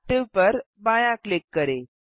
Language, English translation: Hindi, Left click Active